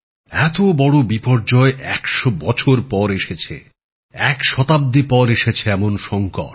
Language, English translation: Bengali, This type of disaster has hit the world in a hundred years